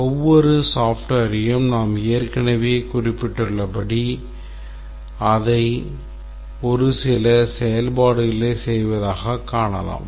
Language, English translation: Tamil, As you have already mentioned that every software we can view it as performing a set of functions